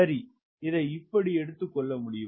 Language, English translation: Tamil, ok, now see how this can be used